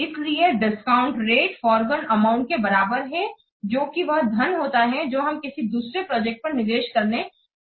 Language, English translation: Hindi, So, discount rate is equivalent to that forgone amount which the money could earn if it were invested in a different project